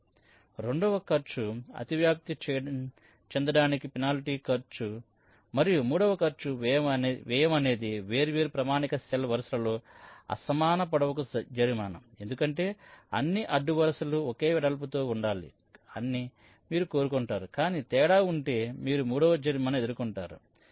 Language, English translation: Telugu, and cost three is the penalty for uneven length across the different standard cell rows, because you want that all rows must be approximately of this same width, but if there is a difference, you encore a penalty of cost three